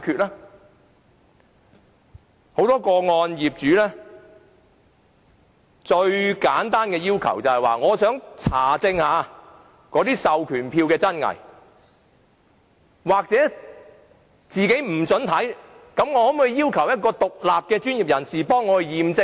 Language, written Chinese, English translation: Cantonese, 在很多個案中，業主最簡單的要求只是想查證授權書的真偽，不獲准查看時，便要求交由一個獨立的專業人士代為驗證授權書。, In many cases the simplest request made by owners was to verify the authenticity of the proxy forms . When the request was not granted they then requested to pass the forms to an independent professional who could verify the authenticity for them